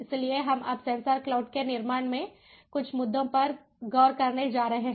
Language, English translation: Hindi, so we are now going to look at some of the issues in the building of sensor cloud